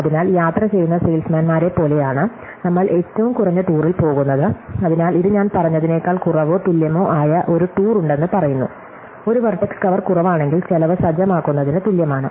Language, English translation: Malayalam, So, it is like the traveling salesmen, we are looking for the shortest tour, so it say is there a tour of less than or equal to said me cost, so is there a vertex cover less then equal to a certain cost